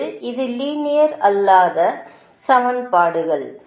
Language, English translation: Tamil, they are nonlinear equation